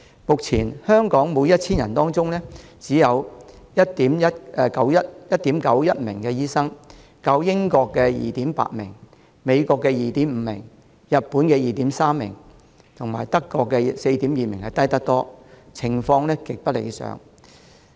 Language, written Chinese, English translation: Cantonese, 目前香港每 1,000 人當中，只有 1.91 名醫生，較英國 2.8 名、美國 2.5 名、日本 2.3 名、德國 4.2 名低得多，情況極不理想。, In Hong Kong at the moment for every 1 000 people there are only 1.91 doctors much lower than 2.8 doctors in the United Kingdom 2.5 doctors in the United States 2.3 doctors in Japan and 4.2 doctors in Germany . Our situation is far from ideal